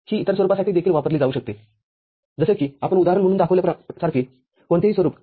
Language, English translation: Marathi, It can be used for other form as well any form like what we had shown as an example